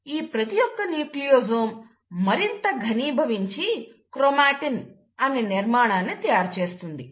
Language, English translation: Telugu, Now each of these Nucleosomes get further condensed, and that structure is what you call as the ‘chromatin’